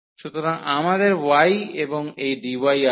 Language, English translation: Bengali, So, we have y and this dy